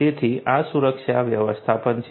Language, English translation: Gujarati, So, this is security management